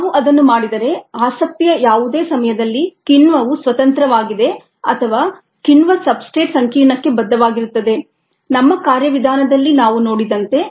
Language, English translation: Kannada, if we do that, at any time of interest, the enzyme is either free or bound to the enzyme substrate, ah complex, as we had ah viewed in our mechanism